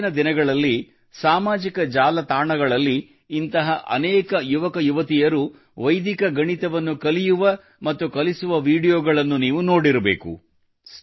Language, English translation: Kannada, You must have seen videos of many such youths learning and teaching Vedic maths on social media these days